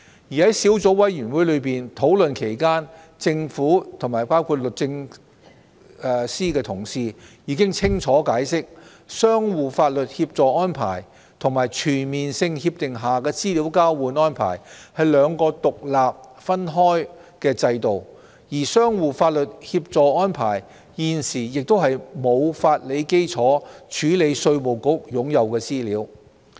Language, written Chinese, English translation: Cantonese, 在小組委員會討論期間，政府的同事已清楚解釋，相互法律協助安排與全面性協定下的資料交換安排是兩個獨立分開的制度，而相互法律協助安排現時亦沒有法理基礎處理稅務局擁有的資料。, In the course of discussion by the Subcommittee my colleagues in the Government including those from the Department of Justice have already clearly explained that the mutual legal assistance arrangements and the exchange of information arrangements under CDTAs are two separate regimes independent of each other . And currently there is no legal grounds for the information in the possession of IRD to be handled under the mutual legal assistance arrangements